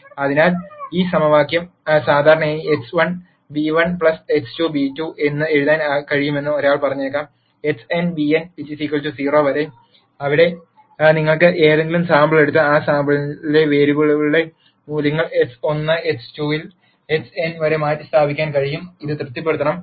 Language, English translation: Malayalam, So, one might say that this equation can generally be written as x 1 beta 1 plus x 2 beta 2 all the way up to x n beta n is 0; where you can take any sample and substitute the values of the variables in that sample at x 1 x 2 up to x n and this is to be satis ed